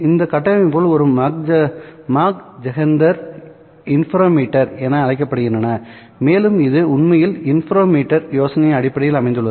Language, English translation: Tamil, This structure is called as a Machzender interferometer and it is based really on the idea of interferometer